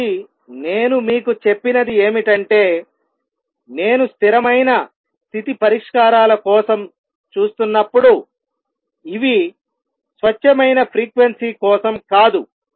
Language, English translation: Telugu, So, what I have told you is that when I am looking for stationary state solutions, these are not for pure frequency